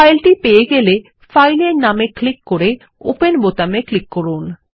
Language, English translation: Bengali, Once found, click on the filename And click on the Open button